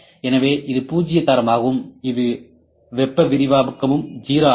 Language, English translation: Tamil, So, it is zero grade that is thermal expansion is also 0